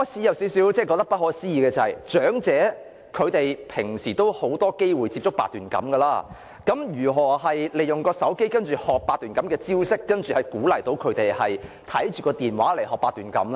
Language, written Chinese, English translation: Cantonese, "大家可能覺得不可思議，長者日常已有很多機會接觸八段錦，那麼如何利用手機學習八段錦招式，難道要他們看着電話來學習八段錦嗎？, You may find it unthinkable because the elderly have plenty of chances to run into Baduanjin in their daily life and so how do they use their cell phones to learn the moves of Baduanjin? . Do you want them to practice Baduanjin by staring at their cell phones?